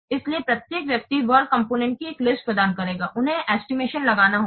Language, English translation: Hindi, So, each person will provide a list of the work components they have to be estimate